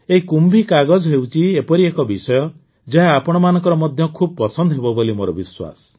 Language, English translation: Odia, This KumbhiKagaz is a topic, I am sure you will like very much